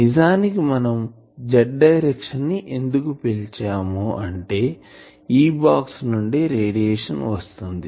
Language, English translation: Telugu, So, actually I will call this will be the z direction then so, I have this box then from here the radiation is coming